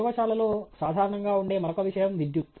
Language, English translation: Telugu, The other thing that is commonly present in a lab is electricity